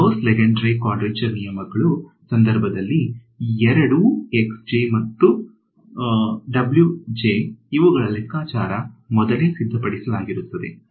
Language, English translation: Kannada, So, in the case of these Gauss Lengedre quadrature rules both the x i's and the w i’s these are pre computed